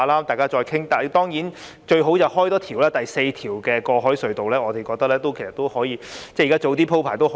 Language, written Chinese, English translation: Cantonese, 但是，最好當然是多建造一條，即第四條過海隧道，我們認為可以早點鋪排和考慮。, Yet the best option is of course the construction of an additional harbour crossing ie . the fourth one . We think it can be arranged and considered earlier